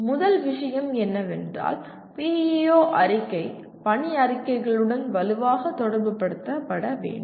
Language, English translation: Tamil, First thing is PEO statement should strongly correlate with mission statements